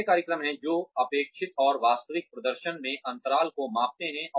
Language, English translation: Hindi, There are programs, that can map the gaps, in expected and actual performance